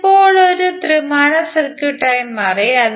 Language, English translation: Malayalam, It is now become a 3 dimensional circuit